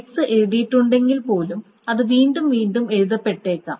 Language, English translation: Malayalam, Even if x has been written it may be written again and again and again